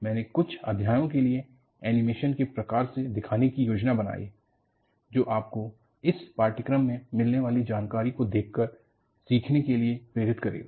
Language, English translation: Hindi, You know, I planned to show for a few chapters, the type of animations, that would give you a motivation for you to look for the kind of information, you will learn in this course